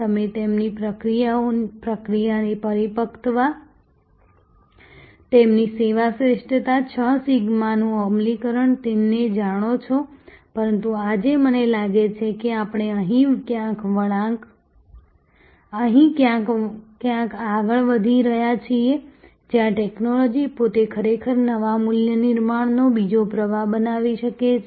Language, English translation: Gujarati, You know their process maturity, their service excellence, implementation of 6 sigma and so on, but today I think we are moving somewhere here, where technology itself can actually create another stream of new value creation